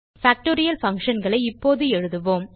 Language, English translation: Tamil, Now let us write Factorial functions